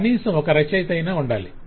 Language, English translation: Telugu, there must be one author at least